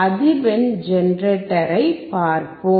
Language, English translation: Tamil, We will check the frequency generator